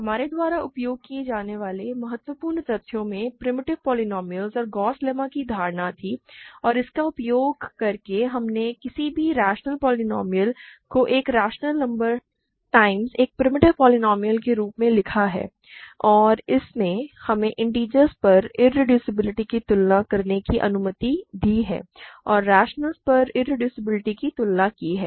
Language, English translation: Hindi, In the crucial facts we use were the notions of primitive polynomials and Gauss lemma, and using that we have written any rational polynomial as a rational number times a primitive polynomial and that allowed us to compare irreducibility over the integers and irreducibility over the rationales